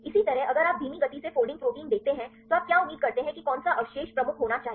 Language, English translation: Hindi, Likewise if you see the slow folding proteins what do you expect which residue should be dominant